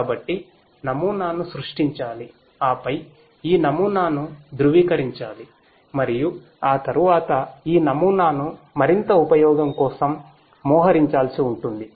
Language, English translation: Telugu, So, models have to be created and then these models will have to be validated and thereafter these models will have to be deployed for further use